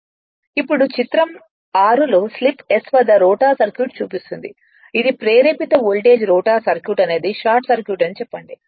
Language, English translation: Telugu, Now, this that figure 6 shows the rotor circuit at slip s this is the induced voltage say rotor circuit